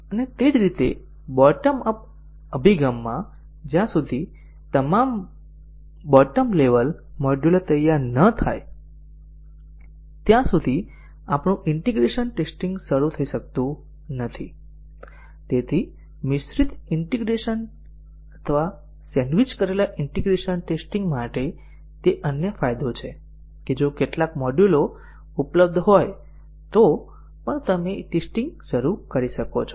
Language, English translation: Gujarati, And similarly, in a bottom up approach, our integration testing cannot start until all the bottom level modules are ready, so that is another advantage for mixed integration or sandwiched integration testing that even if some of the modules are available you can start testing